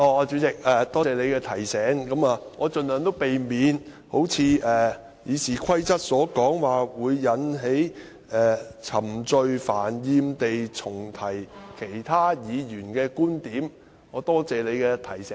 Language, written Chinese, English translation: Cantonese, 主席，多謝你的提醒，我盡量避免如《議事規則》所訂，"冗贅煩厭地重提本身或其他議員的論點"，多謝主席的提醒。, President thank you for your reminder . I will try to avoid irrelevance or tedious repetition of his own or other Members arguments as stipulated in RoP . Thank you President for your reminder